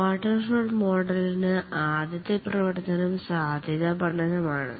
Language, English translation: Malayalam, The first activity in the waterfall model is the feasibility study